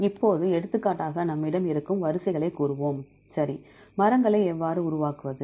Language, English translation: Tamil, Now for example, if we have, let us say sequences, right and how to construct the trees